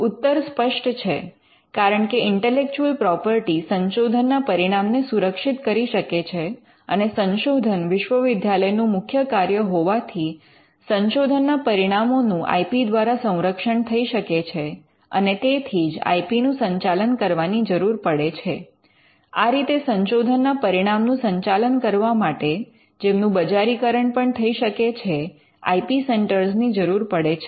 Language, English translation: Gujarati, Now, the answer is evident because intellectual property can protect this output of research and because research is an integral function in a university we could say that the output of research can be protected by IP and that IP needs to be managed and for managing the research output which can be commercialized you need IP centres